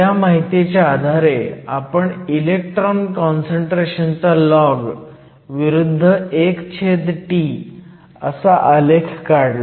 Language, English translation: Marathi, Putting these 2 information together, we did a plot of the log of the electron concentration versus 1 over T